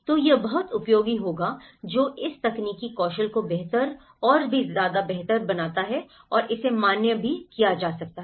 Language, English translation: Hindi, So, that will be very much useful that makes this technical skill better and better and it could be even validated